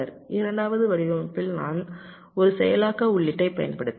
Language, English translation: Tamil, in the second design i have also used an enable input